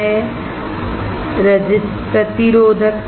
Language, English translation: Hindi, What is ρ; resistivity